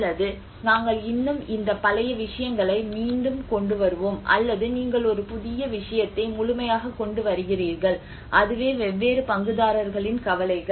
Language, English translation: Tamil, Or we will still bring back these old things or you were completely coming with a new thing you know that is whole thing the concerns of the different stakeholders